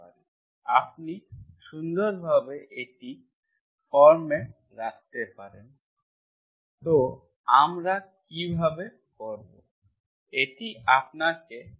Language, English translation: Bengali, You can nicely put it in the form, so how do we do, this is, this is with commonsense you have to do